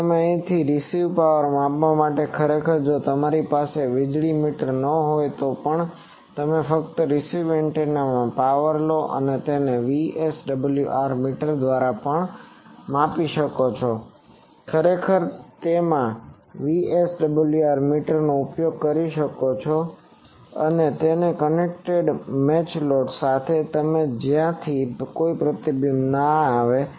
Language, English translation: Gujarati, Now, here you measure received power actually even if you do not have a power meter, you just take the power from the received antenna and measure it even through a VSWR meter actually in you can do it use a VSWR meter and that is connected to a match load, so that there is no reflection from that